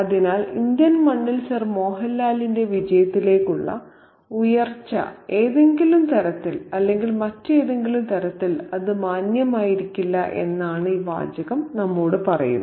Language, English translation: Malayalam, So, this phrase tells us that Sir Mohan Lals rise to success on the Indian soil is probably not very respectable in some way or the other